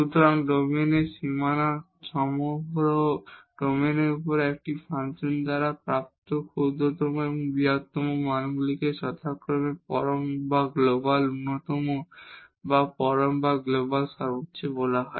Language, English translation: Bengali, So, the smallest and the largest values attained by a function over entire domain including the boundary of the domain are called absolute or global minimum or absolute or global maximum respectively